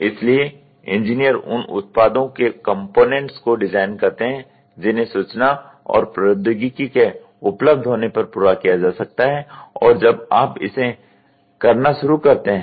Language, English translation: Hindi, So, engineers design components of the products that can be completed as information and technology becomes available as and when you start doing it